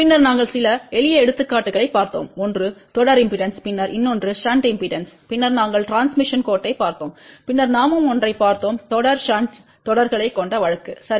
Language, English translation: Tamil, And then we did look at a few simple examples, one was series impedance, then another one was shunt impedance, then we looked at the transmission line, and then we also looked at one case with consisted of series shunt series, ok